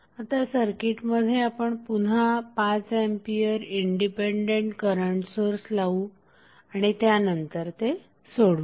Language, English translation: Marathi, So, we will add the 5 ampere independent current source again in the circuit and then we will solve